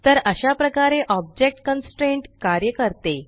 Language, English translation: Marathi, So this is how an object constraint works